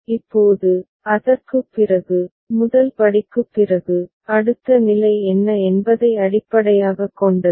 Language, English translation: Tamil, Now, after that, after the first step, successive steps are based on what is the next state